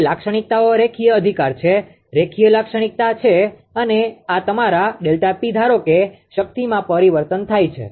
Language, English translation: Gujarati, Now, characteristics is linear right, linear characteristic and this is your delta P suppose change in power